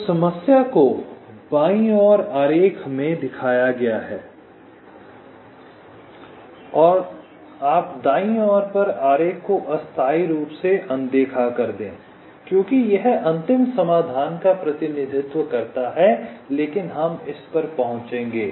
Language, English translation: Hindi, you ignore the diagram on the right temporally because this represents the final solution, but we shall arriving at this